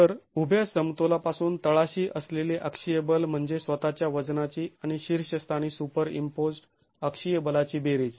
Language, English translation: Marathi, So, from the vertical equilibrium, the axial force at the bottom is the summation of the self weight and the axial force superimposed at the top